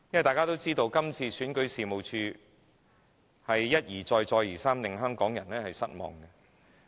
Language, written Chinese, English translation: Cantonese, 大家也知道，選舉事務處一再令香港人失望。, As we all know the Registration and Electoral Office has disappointed us time and again